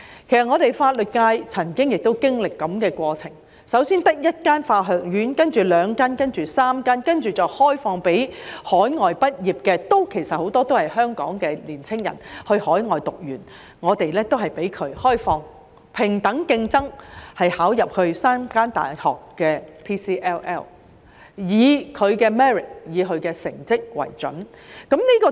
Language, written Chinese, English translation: Cantonese, 其實法律界也曾經歷類似過程，香港最初只有一間法學院，然後有兩間，到3間，再開放給海外畢業生——其實很多都是香港年青人，他們在海外修讀完畢——平等競爭，報考入讀3間大學的 PCLL， 以他們的 merit、成績為準。, At the beginning there was only one law school in Hong Kong . Then there were two and now three . The PCLL courses run by the three universities are open to overseas graduates―in fact many of them are young people from Hong Kong who have completed studies overseas―on a fair playing field and the offers are determined by their merits and academic results